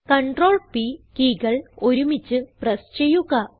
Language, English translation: Malayalam, Then, press the keys Ctrl and P together